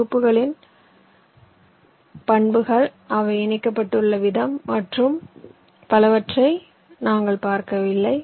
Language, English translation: Tamil, we were not looking at the property of the blocks, the way they are connected and so on